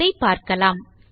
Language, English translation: Tamil, So lets have a look